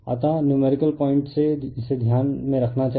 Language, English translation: Hindi, So, this from the numerical point of view this you have to keep it in mind